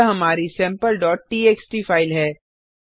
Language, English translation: Hindi, Here is our sample.txt file